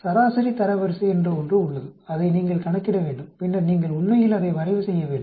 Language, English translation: Tamil, There is something called median ranks which you need to calculate and then you need to plot that actually